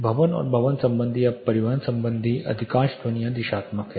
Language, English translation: Hindi, Most of the building and building related or transport related sounds are directional